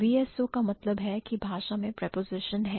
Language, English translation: Hindi, So, VSO means the language will have preposition, right